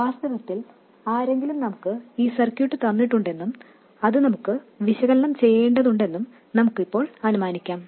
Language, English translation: Malayalam, In fact, we can kind of now assume that somebody gave us this circuit and we have to analyze it